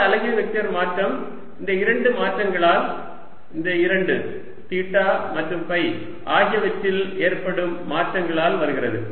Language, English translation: Tamil, r unit vector change comes both r unit vector changes, both due to change in theta and phi